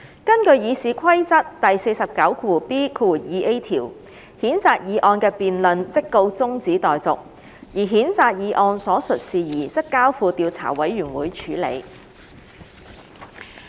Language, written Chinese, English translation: Cantonese, 根據《議事規則》第 49B 條，譴責議案的辯論即告中止待續，而譴責議案所述事宜則交付調査委員會處理。, Pursuant to RoP 49B2A the debate on the censure motion was adjourned and the matter stated in the censure motion was referred to the Investigation Committee